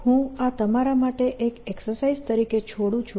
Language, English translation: Gujarati, ok, i leave this as an exercise for you